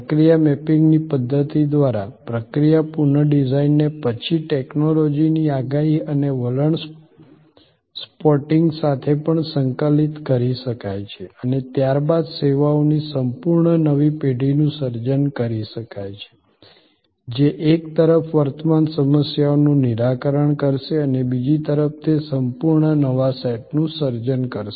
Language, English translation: Gujarati, The process redesign by the method of process mapping can be then integrated with also technology forecasting and trends spotting and a complete new generation of services can then be created, which on one hand will address the current problems and on the other hand, it will create a complete new set